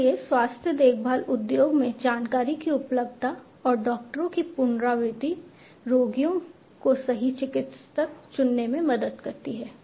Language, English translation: Hindi, So, in the health care industry availability of the information and repetition of doctors helps the patients to choose the right doctor